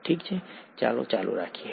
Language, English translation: Gujarati, Okay let’s continue